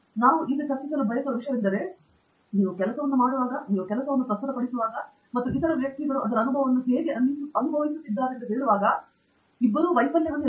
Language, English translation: Kannada, That is something that we would like to now discuss, which is dealing with failure both when you do the work, when you try to present the work, and may be, how other people have had experience with it